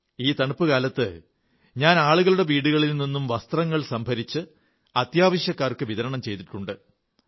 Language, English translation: Malayalam, This winter, I collected warm clothes from people, going home to home and distributed them to the needy